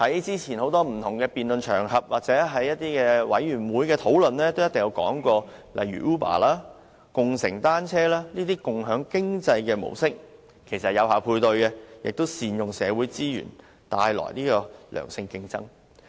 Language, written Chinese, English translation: Cantonese, 早前在多個不同辯論場合或小組委員會會議上均討論到，例如 Uber 及共乘單車這類共享經濟的模式，其實能有效配對，亦能善用社會資源，帶來良性競爭。, During the debates on different occasions or discussions of various subcommittees earlier we discussed the models of sharing economy like Uber and bicycle sharing . In fact with the right matches we can make good use of resources and bring about healthy competitions